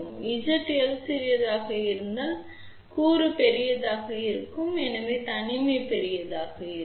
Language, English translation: Tamil, If Z l is small; that means, this component will be large and hence isolation will be large